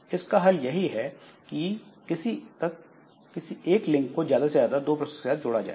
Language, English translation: Hindi, Solution is to allow a link to be associated with at most two processes